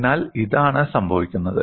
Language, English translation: Malayalam, So, this is what happens